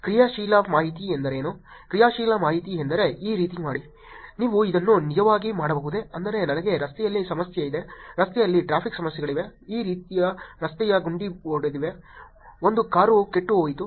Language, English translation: Kannada, What is an actionable information, actionable information is something like do this, can you actually get this done, I mean I am having a problem in the street that is traffic issues in the road there is a pot hole which is broken on this street, a car broken down